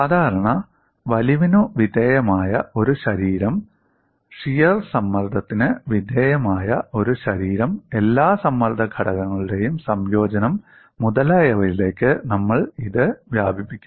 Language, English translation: Malayalam, And we will extend this to a body subjected to normal stretch, a body subjected to shear stress, and a combination of all the stress components, etcetera